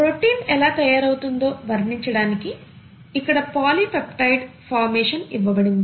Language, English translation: Telugu, A polypeptide formation is given here to illustrate how a protein gets made